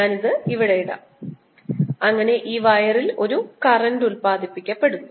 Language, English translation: Malayalam, i'll put this here so that there is an current produce in this wire